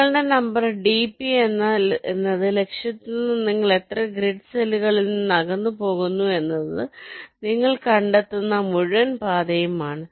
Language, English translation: Malayalam, now you look at the entire path, you find out in how many grid cells you are actually moving away from the target